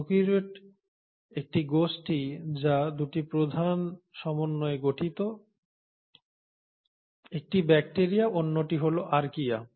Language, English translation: Bengali, Prokaryotes is a group which consists of 2 major domains, one is bacteria the other one is Archaea